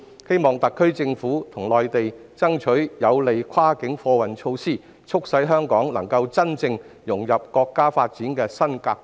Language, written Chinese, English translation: Cantonese, 希望特區政府與內地爭取有利的跨境貨運措施，促使香港能夠真正融入國家發展的新格局。, I hope that the SAR Government and the Mainland will fight for favourable cross - boundary freight transport measures so as to enable Hong Kong to truly integrate into the new development pattern of the country